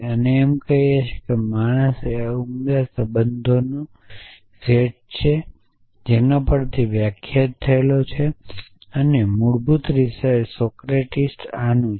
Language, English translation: Gujarati, And saying that man is a relation of arity one which is defines over the set and basically Socrates belongs to this